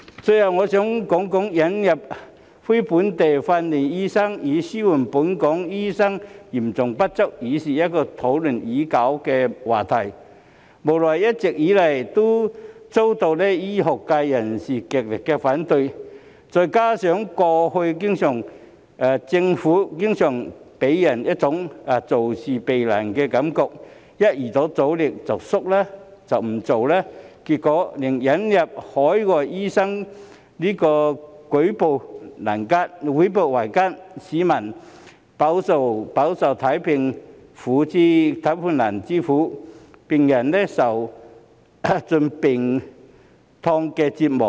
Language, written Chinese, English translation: Cantonese, 最後，我想說說，引入非本地訓練的醫生以紓緩本港醫生嚴重不足，是一個討論已久的話題，無奈一直以來都遭到醫學界人士極力反對，再加上政府過去經常給人一種做事避難的感覺，一遇到阻力便退縮不做，結果令引入海外醫生舉步維艱，市民飽受看病難之苦，病人受盡病痛折磨。, Lastly I would like to say that the admission of NLTDs to alleviate the acute manpower shortage of doctors in Hong Kong is a topic that has been discussed for a long time . I feel helpless that it has always been strongly opposed by the medical profession and the Government used to give people an impression that it simply refrained from dealing with difficulties . It used to shrink back in the face of obstacles rendering it extremely hard to introduce the admission of overseas doctors